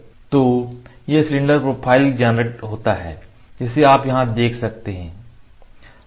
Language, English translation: Hindi, So, this cylinder profile is generated you can see here